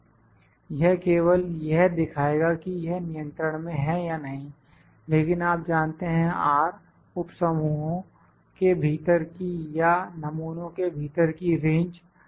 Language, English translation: Hindi, It will just show whether it is within control or not, but you know R is the range between within the subgroup or within this sample